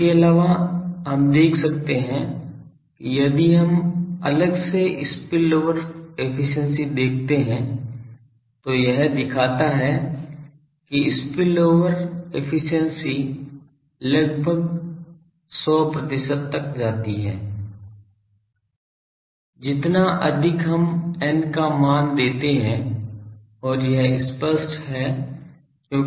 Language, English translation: Hindi, Also we can see that if we separately see the spillover efficiency then it shows that spillover efficiency goes to almost 100 percent, the more we give the n, n value and that is obvious because what is n